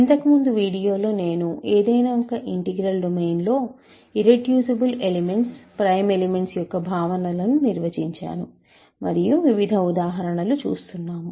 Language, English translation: Telugu, In the last video, I defined the notion of irreducible elements and prime elements in an arbitrary integral domain, and we are looking at various examples